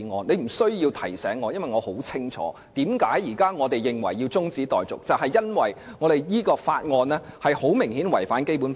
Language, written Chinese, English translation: Cantonese, 你不必提醒我，我很清楚現時提出中止待續的原因，就是這項《條例草案》顯然違反《基本法》。, You need not remind me as I know very well that the reason for adjourning the debate of the Bill is its blatant contravention of the Basic Law